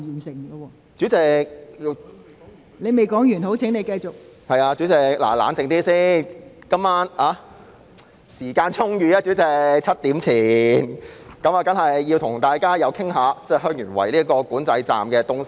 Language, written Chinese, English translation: Cantonese, 是的，代理主席，請先冷靜，今晚時間充裕，因此我在7時前當然要與大家談談香園圍邊境管制站這議題。, Yes Deputy President . Please calm down first . We have ample time this evening so I surely have to talk about the Heung Yuen Wai Boundary Control Point before 7col00 pm